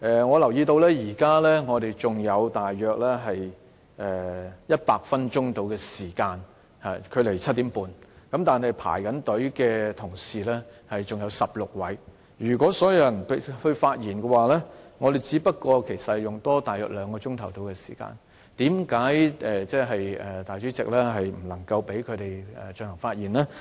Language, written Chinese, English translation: Cantonese, 我留意到，距離7時30分，現在還有大約100分鐘的時間，但輪候發言的同事還有16位，如果讓所有議員發言，其實只需多花大約兩個小時，為甚麼主席不能夠讓他們發言呢？, I noticed that there are still about 100 minutes before 7col30 pm but 16 colleagues are now waiting for their turn to speak . To allow all Members a chance to speak actually it requires only about an additional two hours . Why can the President not allow them to speak?